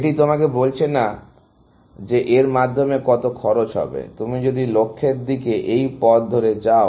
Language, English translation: Bengali, It is not telling you how much it would cost through, if you went to the goal, along with this path